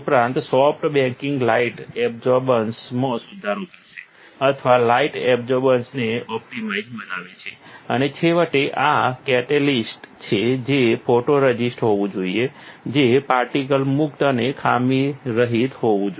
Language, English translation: Gujarati, Also, soft baking will improve the light absorbance or optimizes the light absorbance, and finally, this; the catalyst is the photoresist should be that it should be particle free and defect free